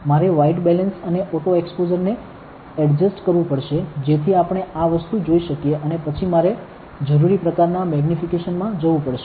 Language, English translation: Gujarati, I have to adjust the white balance and the auto exposure, so that we can see this thing and then I have to go to the right kind of magnification that I need